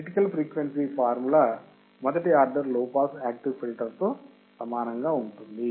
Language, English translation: Telugu, Critical frequency formula becomes similar to first order low pass active filter